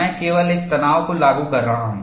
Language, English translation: Hindi, I am applying only a tension